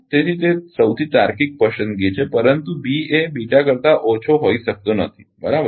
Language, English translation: Gujarati, So, that is the most logical choice, but B cannot be less than beta, right